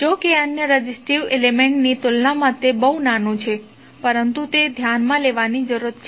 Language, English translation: Gujarati, Although it is small as compare to the other resistive element, but it is still need to be considered